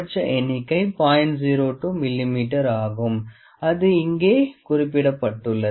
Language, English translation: Tamil, 02 mm it is also mentioned over there